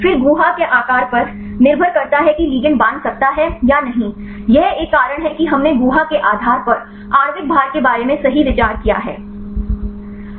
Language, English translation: Hindi, Then the cavity depending upon the cavity size the ligand can bind or not this is a reason why we considered about the molecular weight right depending upon the cavity